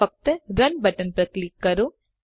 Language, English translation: Gujarati, Just click on the button Run